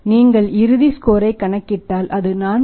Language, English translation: Tamil, 6 this is the final score the score is 4